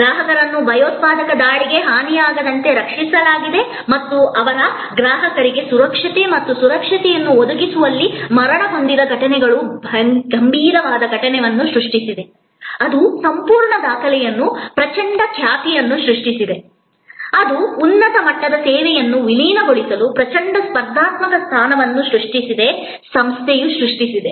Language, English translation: Kannada, Protected the clients from harm the terrorist attack and what the died in providing safety and security to their customers has created those serious of incidences that whole record that has created a tremendous reputation, that has created a tremendous competitive position that has catapulted Tajmahal hotel to merge higher level as it service organization